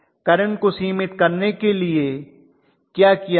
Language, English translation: Hindi, What is going to limit the current